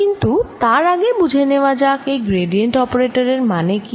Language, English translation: Bengali, but before that let us understand what this gradient operator means